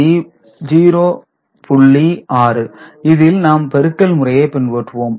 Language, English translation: Tamil, 6, we keep on doing the multiplication right